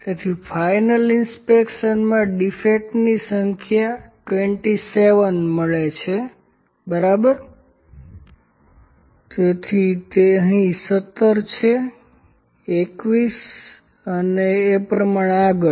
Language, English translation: Gujarati, So, number of defects in the final inspection those are found is 27, ok, so it is 17 here, 21 so on